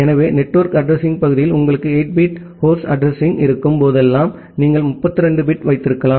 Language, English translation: Tamil, So, whenever you have a 8 bit of host address in the network address part, you can have 32 bit